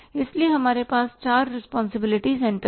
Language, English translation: Hindi, So, we have the four responsibility centers